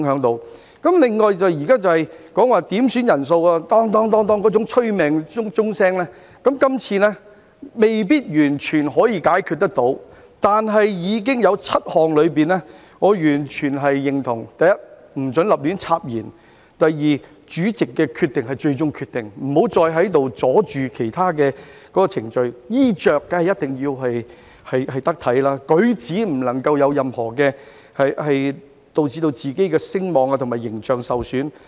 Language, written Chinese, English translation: Cantonese, 另外，現在點算法定人數那種"噹噹噹"的催命鐘聲，這次未必完全可以解決，但有7項我完全認同，包括：不准胡亂插言；主席的決定是最終決定，不要再在這裏妨礙其他程序；衣着一定要得體；不能夠有任何舉止導致自己的聲望和形象受損等。, Moreover the annoying clanging of the quorum bell may not be completely solved this time but there are seven proposals that I fully agree with including no interruptions; the decision of the chair shall be final and no interference with other procedures; dress properly; do not behave in a way that will cause damage to ones reputation image and so on